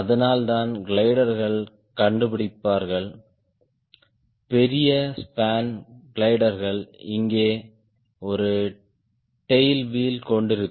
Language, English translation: Tamil, that is why the gliders will find will have large span gliders will have a tail wheel here as well, so they take the load